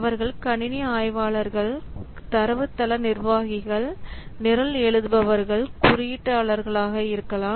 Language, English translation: Tamil, They could be, that could be system analyst, database administrators, programmers, code, etc